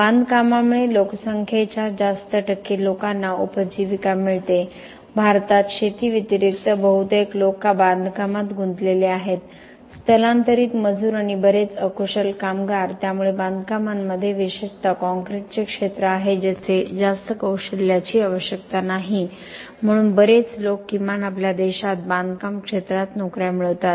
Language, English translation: Marathi, Construction produces livelihood to a large percentage of the population, in India other than agriculture most people are involved in construction lot of migrant labor and lot of unskilled labor, so the constructions a field especially with concrete where not much skill is required therefore lot of people find jobs in the construction sector at least in our country